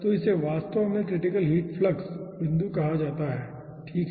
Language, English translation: Hindi, so this is actually called critical heat flux point